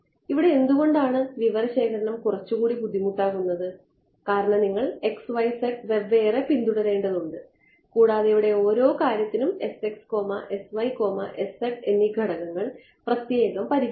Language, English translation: Malayalam, So this is where I mean implementation why is here the book keeping is a little bit more tedious because you have to keep track of x y z separately and this parameters s x s y s z separately for each thing over here ok